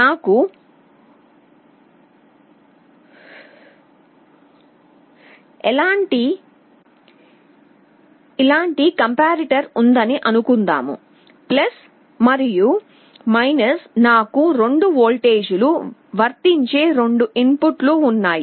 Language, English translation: Telugu, Suppose I have a comparator like this + and , I have two inputs I apply two voltages